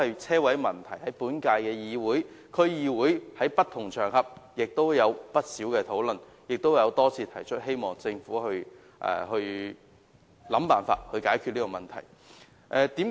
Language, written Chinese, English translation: Cantonese, 車位的問題在本屆議會、區議會和不同場合均有不少討論，並已多次提出，希望政府能設法解決這個問題。, The problems concerning parking spaces have been repeatedly raised and discussed in this Legislative Council District Councils and also on different occasion . I hope the Government can try different means to address the problems